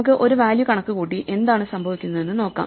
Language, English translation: Malayalam, Let us try to compute a value and see what happens